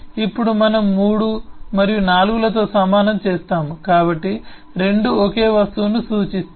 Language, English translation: Telugu, now we have equated through m4, so both refer to the same object